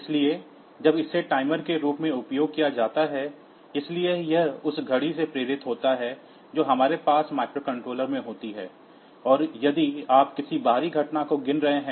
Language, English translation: Hindi, So, when it is used as timer; so it is driven by the clock that we have in the microcontroller, and if you are counting some outside event